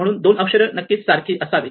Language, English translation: Marathi, So, these two letters must also be the same